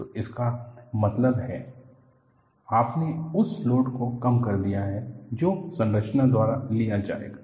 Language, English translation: Hindi, So, that means, you have reduced the load that would be taken by the structure